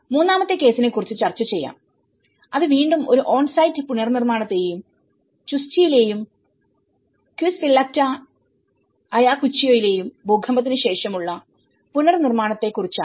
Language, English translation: Malayalam, I will also discuss about the third case, which is an on site reconstruction again and post earthquake reconstruction in Chuschi and Quispillacta Ayacucho